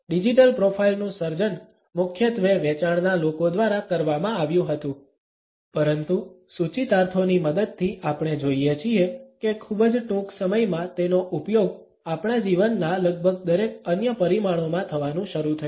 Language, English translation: Gujarati, The creation of the digital profile was primarily done by the sales people, but with the help of the connotations we find that very soon it started to be used in almost every other dimension of our life